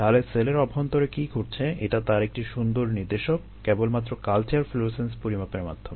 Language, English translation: Bengali, so this is the nice indication of what is happening inside the cell just by measuring the culture florescence